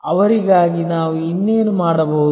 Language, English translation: Kannada, What more can we do for them